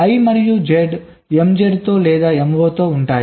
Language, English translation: Telugu, i and z, with m z then or with m